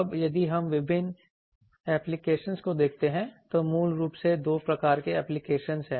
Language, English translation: Hindi, Now, so if we see various applications, there are basically two types of application